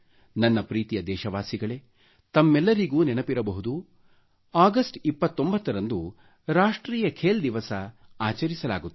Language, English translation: Kannada, My dear countrymen, all of you will remember that the 29th of August is celebrated as 'National Sports Day'